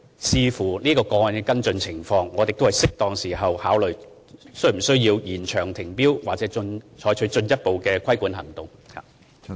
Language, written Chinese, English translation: Cantonese, 視乎這個案的跟進情況，我們會在適當時候考慮，是否需要延長停標或採取進一步的規管行動。, Depending on the development of this case we will consider in due course whether it is necessary to extend the suspension of tendering or take further regulating actions